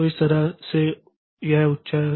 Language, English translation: Hindi, So, that way it is high